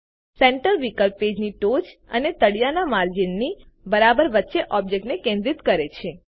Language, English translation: Gujarati, The option Centre centres the object exactly between the top and bottom margins of the page